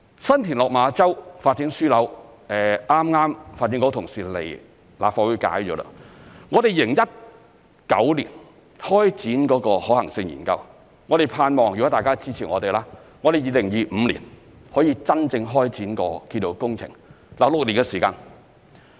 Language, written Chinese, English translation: Cantonese, 新田/落馬洲發展樞紐，剛剛發展局同事到立法會解說了，我們在2019年開展可行性研究，盼望如果大家支持我們 ，2025 年可以真正開展建造工程，當中6年的時間。, Our colleagues from the Development Bureau have recently given a briefing on the San TinLok Ma Chau Development Node at the Legislative Council . We started a feasibility study on this project in 2019 . Subject to the support of Members actual construction work will hopefully start in 2025 six years after the commencement of the study